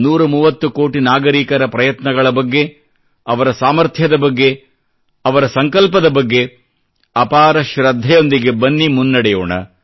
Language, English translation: Kannada, Let's show immense faith in the pursuits actions, the abilities and the resolve of 130 crore countrymen, and come let's move forth